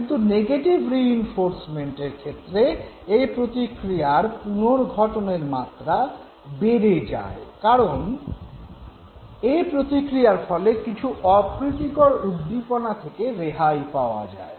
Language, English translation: Bengali, Whereas in the case of negative reinforcement, the frequency of the response increased because the response was followed by removal of the adverse stimulus